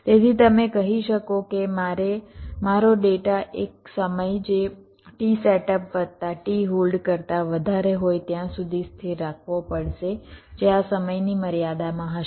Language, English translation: Gujarati, so you can say that i must have to keep my data stable for a time which must be greater than t setup plus t hold, with these time in constrained